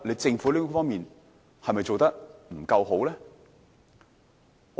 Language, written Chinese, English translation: Cantonese, 政府在這方面是否做得不夠好呢？, Does the Government agree that it has not done well enough in this regard?